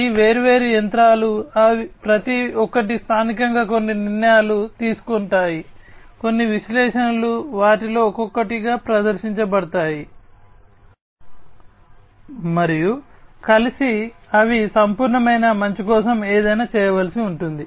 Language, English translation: Telugu, So, each of these different machines will locally perform certain decisions themselves, certain analytics will be performed in them individually plus together also they will have to do something, for the holistic good